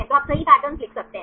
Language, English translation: Hindi, So, you can write the patterns right